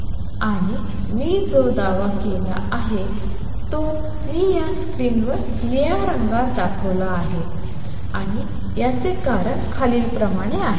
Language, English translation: Marathi, And what I have claimed is what I have shown in blue on this screen and the reason for this is as follows